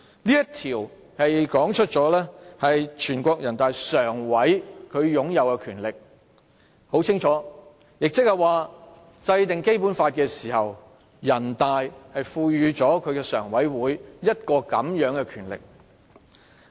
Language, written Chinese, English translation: Cantonese, "這項條文清楚說明人大常委會擁有的權力，即是說，制定《基本法》時，全國人大賦予了人大常委會這個權力。, This provision clearly spells out the power possessed by NPCSC . In other words this power was conferred by NPC on NPCSC when the Basic Law was enacted